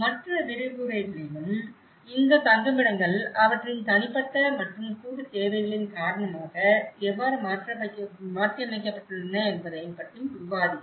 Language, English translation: Tamil, And in other lectures also we have discussed how these shelters have been modified for that because of their individual and collective needs